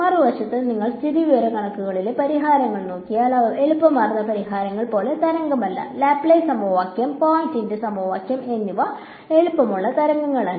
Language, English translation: Malayalam, On the other hand, if you look at the solutions in statics they are not wave like they are smooth solutions know; Laplace equation, Poisson’s equation they are not wave like they are smooth